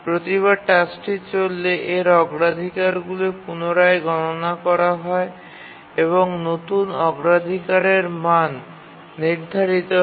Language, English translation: Bengali, Every time the task is run, its priorities recalculated and new priority values are assigned